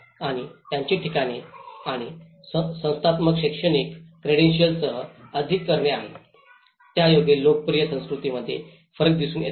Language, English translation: Marathi, And its places and institutional is more to do with the academic credential that is where the difference of the popular cultures comes up